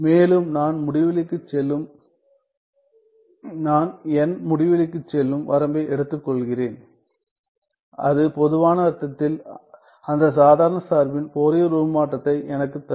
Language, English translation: Tamil, And, then I take the limit n tending to infinity and that will give me the Fourier transform of that ordinary function in the generalized sense ok